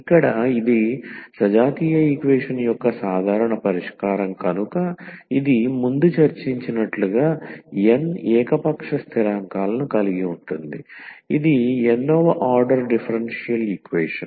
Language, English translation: Telugu, So, here since this is the general solution of the homogeneous equation this will have n arbitrary constants as discussed before that this is the nth order differential equation